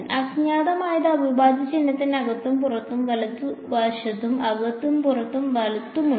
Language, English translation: Malayalam, The unknown is both inside the integral sign and outside right, psi is inside and outside right